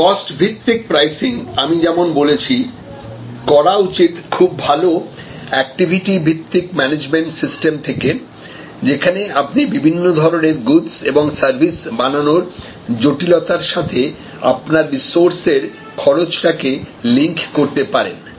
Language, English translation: Bengali, A cost based pricing as I said should be done by very well worked out activity based management system, you have to link your resource expenses to the variety and complexity of goods and services produced, services produced